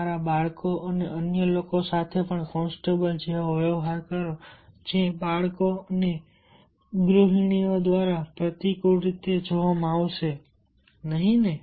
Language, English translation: Gujarati, you will experience you will also treat your children and another like constables, which will be perceived on favorably by the children and the housewife